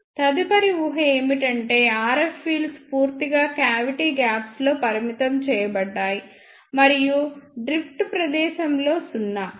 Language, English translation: Telugu, The next assumption is that the RF fields are totally confined in the cavity gaps, and zero in the drift space